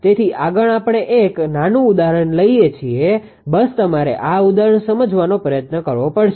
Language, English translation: Gujarati, So, ah next we take say one small example right just ah just you have to try to understand that this example